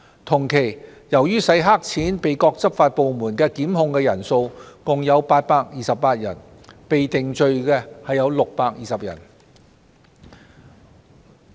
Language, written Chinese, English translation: Cantonese, 同一期間，由於洗黑錢被各執法部門檢控的共有828人，被定罪的則有620人。, During the same period 828 persons were prosecuted for money laundering offences and 620 persons were convicted